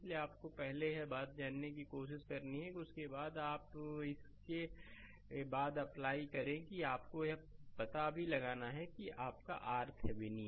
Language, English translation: Hindi, So, that you have to first try find it out after that, you apply the after that you have to find out also that your R Thevenin